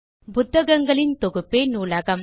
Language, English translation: Tamil, A library can be a collection of Books